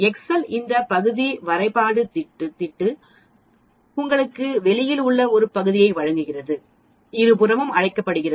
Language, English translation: Tamil, Whereas Excel gives this area graph pad gives you the area outside, both sides that is called two tail, the two tail